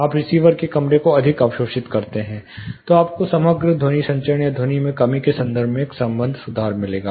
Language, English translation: Hindi, You make the receiver room more absorbing then you will also find an associated improvement in terms of the overall sound transmission, or the sound reduction which is attained